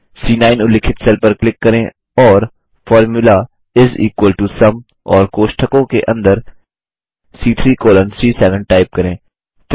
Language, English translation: Hindi, Click on the cell referenced as C9 and enter the formula is equal to SUM and within braces C3 colon C7